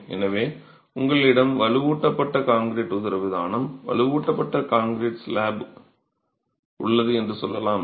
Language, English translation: Tamil, So let's say you have a reinforced concrete diaphragm, a reinforced concrete slab, right